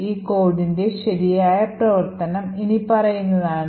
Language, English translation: Malayalam, The right working of this code is as follows